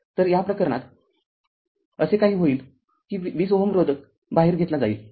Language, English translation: Marathi, So, in this case what will happen that 2 ohm resistance is taken off